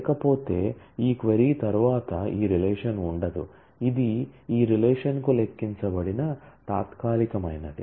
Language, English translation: Telugu, Otherwise after this query this relation will not exist this is just a temporary one computed for this query